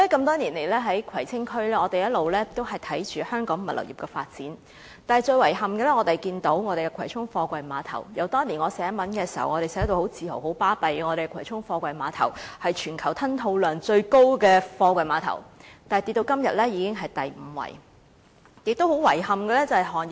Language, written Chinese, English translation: Cantonese, 多年來，我一直留意葵青區和香港物流業的發展，但遺憾的是，葵涌貨櫃碼頭由我當年作文時很自豪地說是全球吞吐量最高的貨櫃碼頭，到今天已經下跌至第五位。, For many years I have paid attention to the development of the Kwai Tsing District and the logistics industry of Hong Kong . Regrettably the Kwai Chung Container Terminals which I proudly described as having the greatest throughput in the world back then now only ranks the fifth in throughput